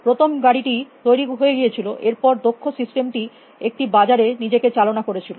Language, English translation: Bengali, The first car was done, then experts system self started appearing in a market